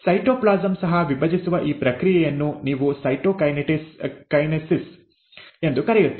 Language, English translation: Kannada, This process, where the cytoplasm also divides, is what you call as the cytokinesis